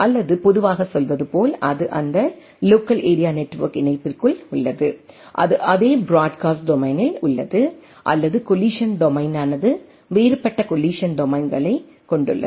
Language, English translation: Tamil, Or as in commonly say, that it is within that local area network connectivity, it is in the same broadcast domain, but the collision domain where is a different collision domains